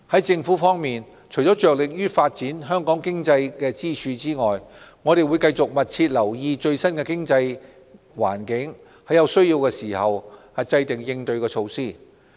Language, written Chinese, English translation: Cantonese, 政府除了着力發展香港經濟支柱外，亦會繼續密切留意最新經濟環境，在有需要時制訂應對措施。, While making every endeavour in developing Hong Kongs pillar industries the Government will also closely monitor the latest economic situation and devise corresponding measures as necessary